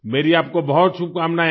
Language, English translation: Hindi, I wish you the very best